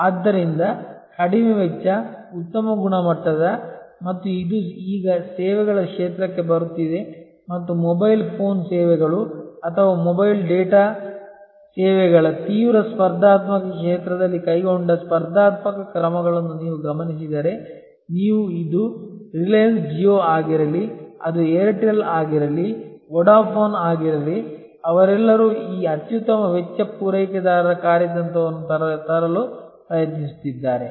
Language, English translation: Kannada, So, it is possible to offer that unassailable combination of low cost, high quality and this is now coming into services field and if you observe the competitive steps taken by in the intensive competitive field of say mobile phone services or mobile data services, you will see whether it is the reliance jio, whether it is Airtel, whether it is Vodafone their all trying to come up with this best cost providers strategy